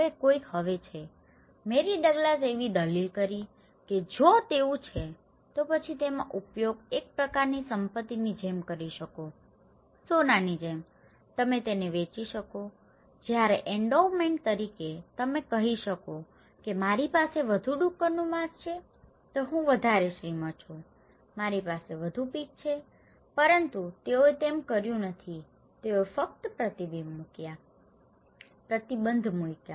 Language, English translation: Gujarati, Now, somebody is now, Mary Douglas is arguing that if it is so, then you can use it like a kind of asset, okay like gold, you can sell it, when as an endowment and you can say the more pork I have, more rich I am, more pigs I have but they didnít do, they only put restrictions